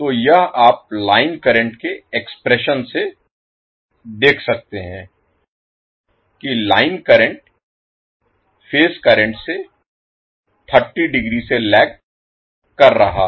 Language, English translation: Hindi, So this you can see from the current expressions that the line current is lagging the phase current by 30 degree